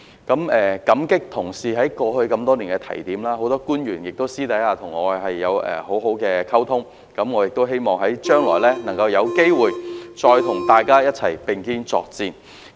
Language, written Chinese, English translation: Cantonese, 感激同事過去多年來的提點，很多官員私下亦與我有很好的溝通，希望將來能有機會再與大家並肩作戰。, I am thankful to fellow colleagues for their advice over the past many years . I have also been able to maintain very good communications with many public officers in private and I am looking forward to the opportunity to work side by side with all of you again in the future